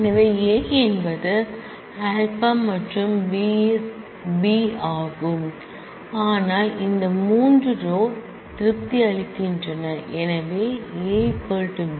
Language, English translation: Tamil, Because, A is alpha and B is beta whereas, these 3 rows satisfy because A is equal to beta